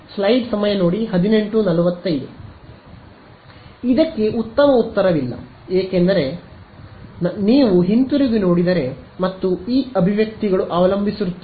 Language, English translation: Kannada, There is no good answer for it because, it depends if you look back and these expressions